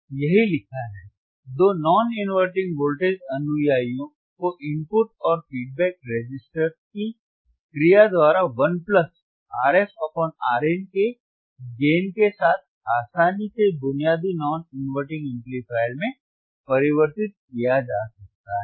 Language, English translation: Hindi, Tthat is what is written, that are two non inverting voltage followers can be easily be converted into basic non inverting amplifier with a gain of 1 plus R f by Rin, by the action of input and feedback registerssistors